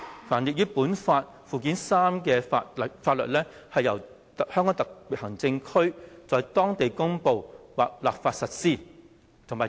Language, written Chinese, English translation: Cantonese, 凡列於本法附件三之法律，由香港特別行政區在當地公布或立法實施"。, The laws listed therein shall be applied locally by way of promulgation or legislation by the Region